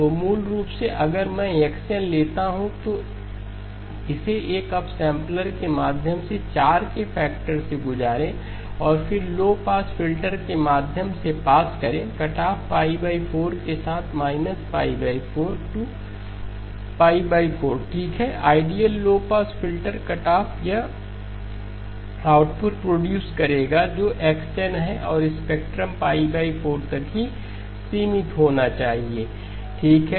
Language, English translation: Hindi, So basically if I take x of n, pass it through an upsampler by a factor of 4 and then pass it through a low pass filter with cutoff pi by 4, minus pi by 4 to pi by 4 okay, ideal low pass filter cutoff from minus pi over 4 to pi over 4, this will produce an output which is xI of n and the spectrum should be limited to pi by 4 okay